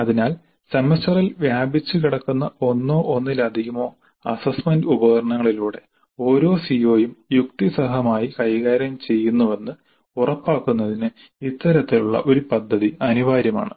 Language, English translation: Malayalam, So this kind of a plan is essential in order to ensure that every CO is addressed reasonably well in one or more assessment instruments spread over the semester